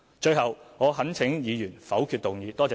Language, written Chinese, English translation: Cantonese, 最後，我懇請議員否決動議。, Finally I earnestly urge Members to negative the motion